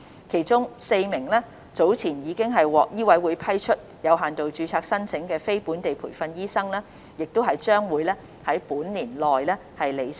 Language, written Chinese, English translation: Cantonese, 其中 ，4 名早前已獲醫委會批出有限度註冊申請的非本地培訓醫生將於本年內履新。, Four non - locally trained doctors whose applications for limited registration were earlier approved by MCHK will report for duty within this year